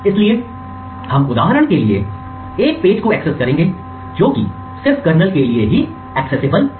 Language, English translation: Hindi, So, we would for example be able to convert a page which is meant only for the kernel to be accessible by user programs also